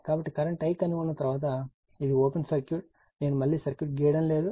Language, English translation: Telugu, So, once you get the current, so this is open circuit I am not drawing the circuit again